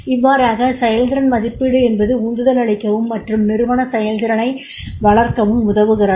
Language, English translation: Tamil, So appraisal also helps in case of the motivation and to develop the organizational performance